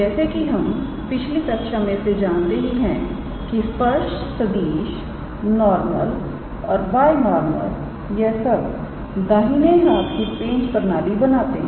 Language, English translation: Hindi, Because we know that all we learnt in the previous class that the tangent vector, the normal and the binormal they form a right handed sort of like screw system